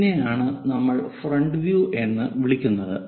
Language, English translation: Malayalam, This is what we call front view